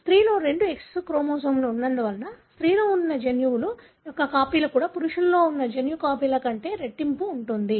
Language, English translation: Telugu, Because there are two X chromosomes in female, the copies of the gene that are there in a female also is twice as the number of gene copies that are there in the male